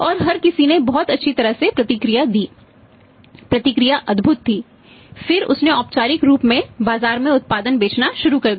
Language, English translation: Hindi, And everybody responded very well response was very good who got wonderful then he started formally selling the product in the market